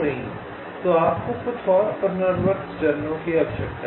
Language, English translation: Hindi, so you need some more iterative steps